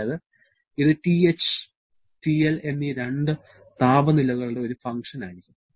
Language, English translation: Malayalam, That means this has to be a function of these 2 temperatures TH and TL